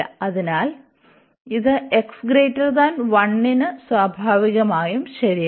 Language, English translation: Malayalam, So, this is naturally true for x larger than 1